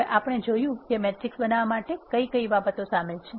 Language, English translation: Gujarati, Now, we have seen; what are the things that are involved in creating a matrix